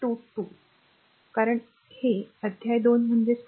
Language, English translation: Marathi, 22, because it is the chapter 2 that is why 2